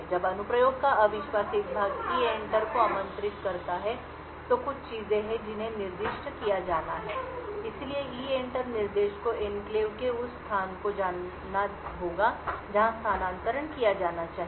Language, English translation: Hindi, When the untrusted part of the application invokes EENTER there certain things which are to be specified, so the EENTER instruction needs to know the location within the enclave where the transfer should be done